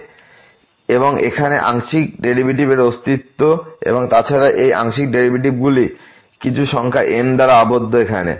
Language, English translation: Bengali, So, the existence of the partial derivative here and moreover, these partial derivatives are bounded by some number here